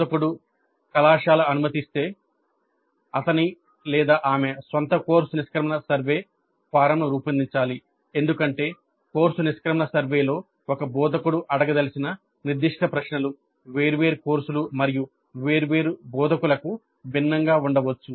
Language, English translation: Telugu, Instructor if permitted by the college should design his, her own course exit survey form because the specific questions that an instructor would like to ask in the course exit survey may be different for different courses and different instructors